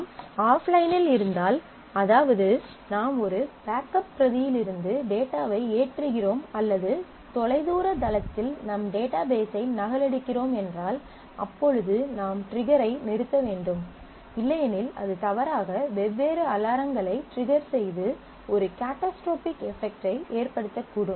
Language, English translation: Tamil, So, if you have offline for example, you are loading the data from a backup copy or you are replicating your database at a remote site and so on, then you have to put off the trigger; otherwise you know falsely the triggers will start happening and that may have a catastrophic effect that might trigger of different alarms and all that